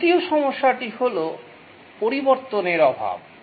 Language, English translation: Bengali, The second problem is change impact